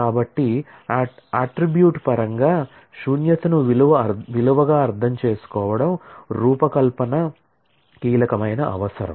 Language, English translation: Telugu, So, understanding null as a value in terms of an attribute is a critical requirement for the design